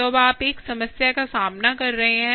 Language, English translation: Hindi, so, ah, you are now confronted with a problem